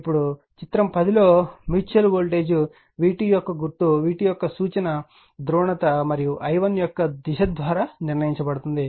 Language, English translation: Telugu, Now, in figure 10 the sign of the mutual voltage v 2 is determined by the reference polarity for v 2 and direction of i1 right